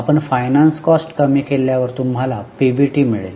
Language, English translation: Marathi, After you deduct finance cost, you get PBT